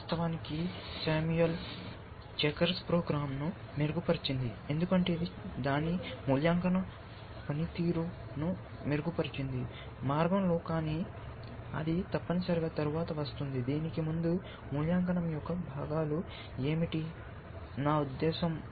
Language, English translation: Telugu, In fact, Samuel Sekars playing program, improved it is game, because it improved it is valuation function on the way, but that comes after word essentially, before that what are the components of the evaluation, I mean